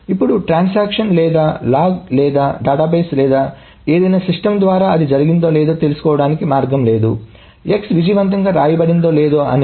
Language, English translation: Telugu, Now the transaction or the log or the database or any system has no way of knowing whether it has gone through the X has been written successfully or not